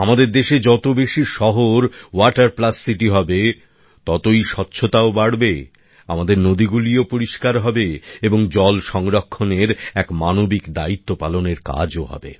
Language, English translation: Bengali, The greater the number of cities which are 'Water Plus City' in our country, cleanliness will increase further, our rivers will also become clean and we will be fulfilling values associated with humane responsibility of conserving water